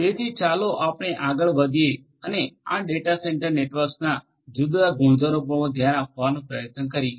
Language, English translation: Gujarati, So, let us go further and try to have a look at the different properties of these data centre networks